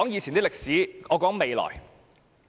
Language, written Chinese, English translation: Cantonese, 先不談歷史，我只談未來。, I will not dwell on the past but will focus on the future